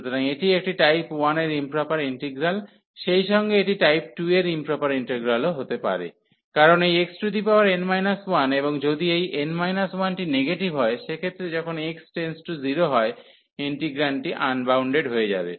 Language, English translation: Bengali, So, this is a improper in this is an improper integral of type 1 as well as it can be in proper integral of type 2, because this x power n minus 1 and if this n minus 1 is negative in that case when x approaches to 0 the integrand will become unbounded